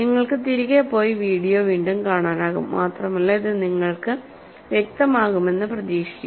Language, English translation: Malayalam, So, you can just go back and see the video again, and hopefully it will become clear to you